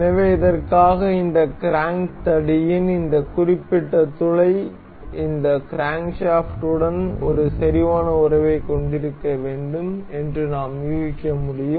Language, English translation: Tamil, So, for this, we can guess that this this particular hole in this crank rod is supposed to be supposed to have a concentric relation with this crankshaft